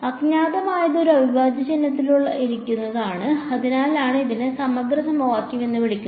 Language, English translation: Malayalam, The unknown is sitting inside an integral sign that is why it is called integral equation